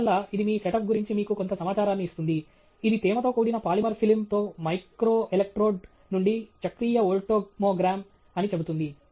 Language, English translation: Telugu, And therefore, it gives you some information about your setup it says cyclic voltammogram from a microelectrode with a humidified polymer film